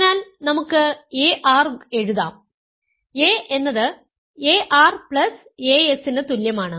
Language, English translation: Malayalam, So, we can write ar; a is equal to ar plus as right